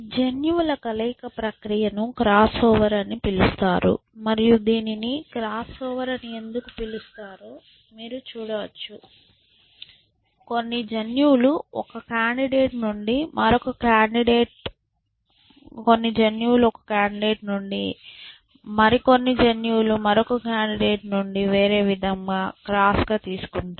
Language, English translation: Telugu, This process of mixing of genes is called cross over, and you can see why it is called cross over is that you know some genes are crossing over from one candidate to the other and vice versa policy